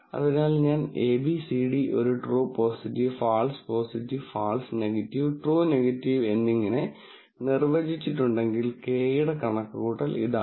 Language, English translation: Malayalam, So, if I have abcd defined as true positive, false positive, false negative, true negative, then the calculation for Kappa is this